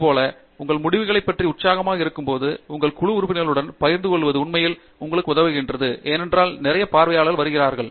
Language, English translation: Tamil, Likewise, when you are excited about your results also, sharing it with your group members really helps you because a lot of perceptives come in